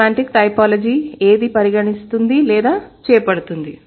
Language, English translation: Telugu, So, semantic typology should target what